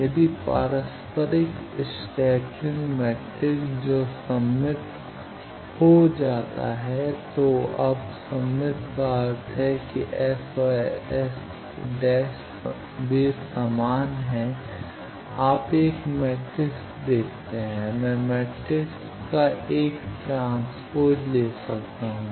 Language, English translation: Hindi, If the reciprocal the scattering matrix that becomes symmetric, now symmetric means what that S and S Transpose they are equal you see a matrix I can take a transpose of the matrix